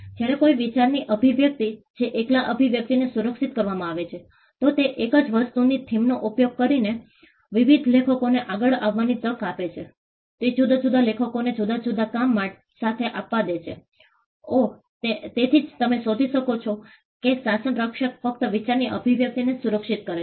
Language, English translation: Gujarati, Whereas, expression of an idea, if the expression alone is protected, it gives different authors to come up with using the same thing theme, it allows different authors to come up with different works, oh so that is why you find that the regime protects only the expression of the idea and not the idea itself